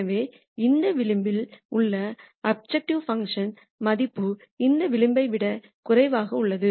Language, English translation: Tamil, So, the objective function value on this contour is less than this contour